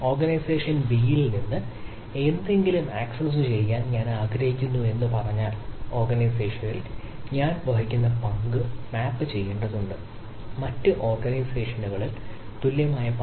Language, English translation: Malayalam, like if i say from organizing a i want to access something at organization b, then the role of organization the, the role i am having in organization a, need to be map to a equivalent ah ah role in the other organizations